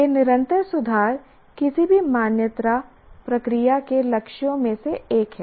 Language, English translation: Hindi, This continuous improvement is one of the purpose, one of the goals of any accreditation process